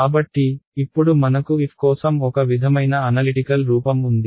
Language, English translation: Telugu, So, now I have a sort of analytical form for f which is approximation